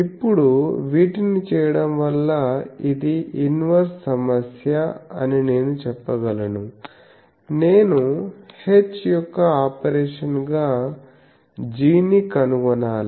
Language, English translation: Telugu, Now doing these actually you can say this is an inverse problem that I need to find g as a operation of h